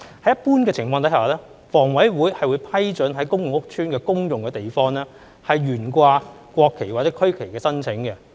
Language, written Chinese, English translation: Cantonese, 在一般情況下，房委會會批准在公共屋邨的公用地方懸掛國旗或區旗的申請。, Under normal circumstances HKHA will approve applications for flying the national flag or regional flag in the common areas of public housing estates